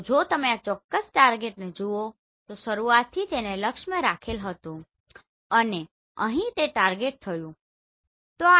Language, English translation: Gujarati, So if you see this particular target have been targeted from the beginning and here it was done